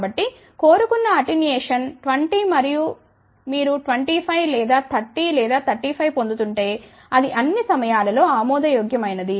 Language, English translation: Telugu, So, if the attenuation desired is 20 and if you are getting 25 or 30 or 35 it is acceptable all the time, ok